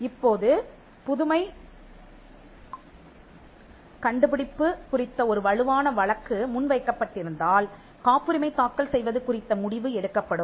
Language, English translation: Tamil, Now, if there is a strong case of novelty and inventiveness that is made out, then a decision to file a patent will be made